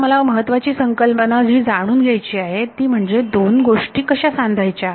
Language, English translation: Marathi, So, the main sort of concept now is how do I tie these two things together